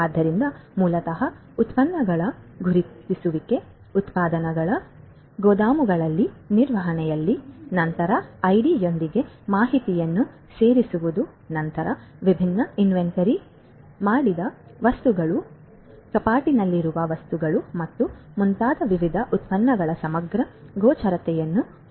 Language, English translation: Kannada, So, basically identification of the products; products that are shelved in the warehouses in the management of the warehouses, then adding information along with the ID, then having comprehensive visibility of the different products that different stocked items, shelved items and so on